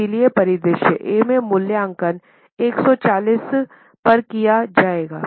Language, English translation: Hindi, So, in scenario A, the valuation will be made at 140 lakhs